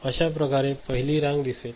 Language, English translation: Marathi, So, this is how the first row is seen ok